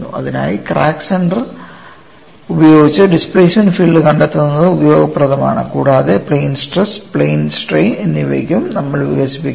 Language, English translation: Malayalam, For that finding out, the displacement field with crack center as the origin is useful and we would develop it for plane stress as well as plane strain